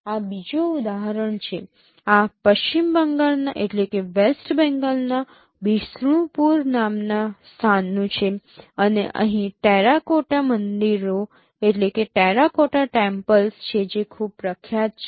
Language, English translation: Gujarati, This is from a place called Bishnupur in West Bengal and there are terracotta temples which are very famous